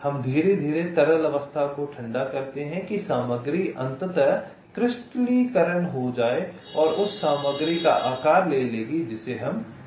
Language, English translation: Hindi, we slowly cool the liquid state that material and the material will be finally crystallizing and will take the shape of the material that we want it to have